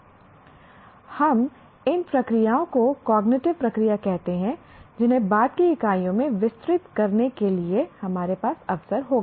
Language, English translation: Hindi, We call these processes as cognitive process which we will have occasion to elaborate in the subsequent units